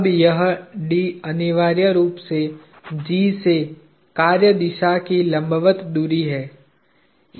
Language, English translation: Hindi, Now, this d is essentially the perpendicular distance of the line of action from G